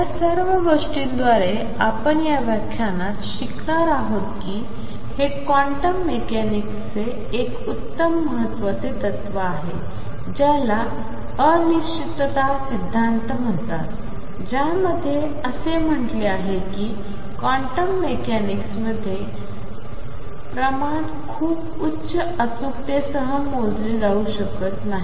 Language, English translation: Marathi, What we are going to learn in this lecture through all this is a very important principle of quantum mechanics known as the uncertainty principle which states that quantity is in quantum mechanics cannot be measured in general with very high precision